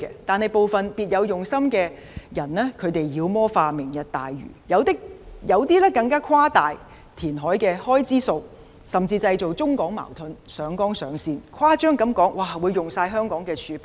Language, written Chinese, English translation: Cantonese, 但是，部分別有用心的人妖魔化"明日大嶼"，有些更誇大填海的開支，甚至製造中港矛盾，上綱上線，誇張地說會花光香港的儲備。, However some people with ulterior motives demonize Lantau Tomorrow . Some of them exaggerate the reclamation cost . Some have even tried to create conflicts between Hong Kong and the Mainland by escalating the issue to a higher plane of principle and exaggerated that all the reserves in Hong Kong would be depleted